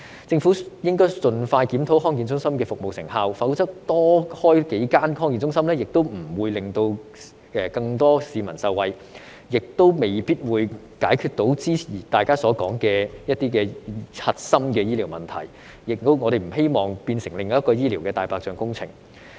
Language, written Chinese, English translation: Cantonese, 政府應該盡快檢討康健中心的服務成效，否則多開設幾間康健中心也不會令更多市民受惠，也未必能解決大家所說的核心的醫療問題，我們亦不希望變成另一項醫療"大白象"工程。, The Government should expeditiously review the service effectiveness of the DHCs otherwise establishing a few more DHCs will not benefit more members of the public nor will it solve the core healthcare problems mentioned by Members . We do not want the proposal to become another white elephant healthcare project